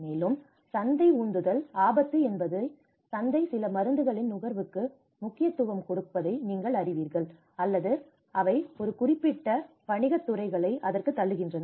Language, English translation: Tamil, Also, the market driven risk because you know the market also emphasizes on consumption of certain drugs or they push a certain business sectors into it